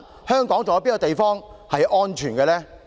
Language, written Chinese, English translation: Cantonese, 香港還有哪處是安全的？, Are there any places in Hong Kong which are safe?